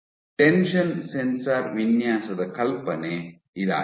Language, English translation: Kannada, What is the tension sensor design